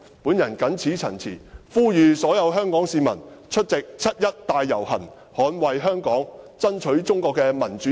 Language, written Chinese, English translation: Cantonese, 我謹此陳辭，呼籲所有香港市民出席七一大遊行，捍衞香港，爭取中國的民主自由。, I so submit . I call upon all Hong Kong people to participate in the 1 July march to defend Hong Kong and fight for democracy and freedom in China